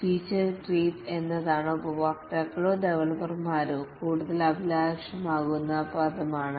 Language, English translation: Malayalam, Feature creep is the world where the customers or the developers become more ambitious